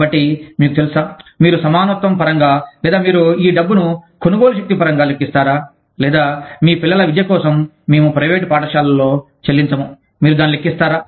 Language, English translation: Telugu, So, you know, will you calculate it, in terms of equitability, or will you calculate this money, in terms of the purchasing power, or will you calculate it, in terms of saying that, we will not pay for your children's education, in private schools